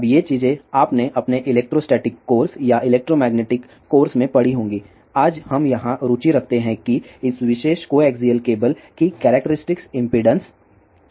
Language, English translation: Hindi, Now these things; you might have studied in your electro static course or electromagnetic course; what we are interested today here is what is the characteristic impedance of this particular coaxial cable